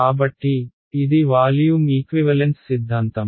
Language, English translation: Telugu, So, this was the volume equivalence theorems